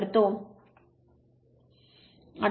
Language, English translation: Marathi, So, it is 18